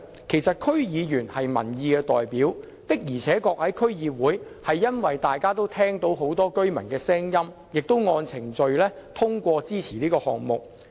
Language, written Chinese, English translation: Cantonese, 其實，區議員是民意代表，區議會的確聆聽了很多居民的聲音，也按程序通過支持這項目。, As the DC members represent the people DC does hear the views of many people in the community and has approved the project in accordance with the procedures